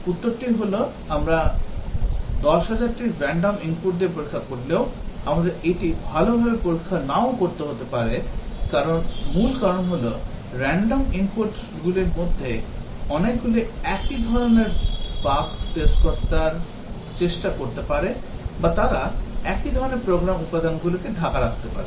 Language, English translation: Bengali, The answer is that even if we test with 10,000 random inputs, we might not have tested it well; the main reason is that many of those random inputs might be trying to test the same type of bugs or they might be covering the same type of program elements